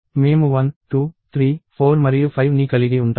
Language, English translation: Telugu, So, I am going to have 1, 2, 3, 4 and 5